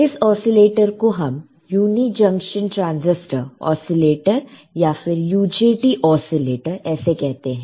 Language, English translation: Hindi, They are called uni junction transistor oscillators or they are also called UJT oscillators, all right